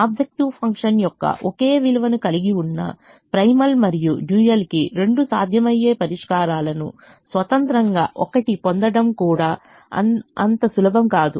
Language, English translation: Telugu, it is not also that easy to get two feasible solutions independently, one each to the primal and dual having the same value of the objective function